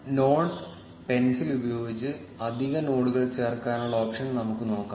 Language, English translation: Malayalam, Now let us look at the option to add additional nodes using the node pencil